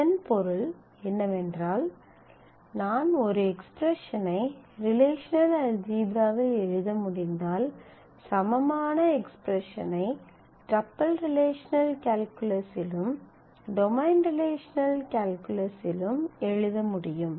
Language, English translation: Tamil, What means that if I can write an expression in relational algebra then it is possible to write an equivalent expression in tuple relational calculus and in domain relational calculus and vice versa